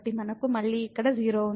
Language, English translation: Telugu, So, we have here again this 0